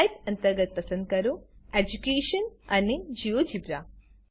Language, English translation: Gujarati, Under Type Choose Education and GeoGebra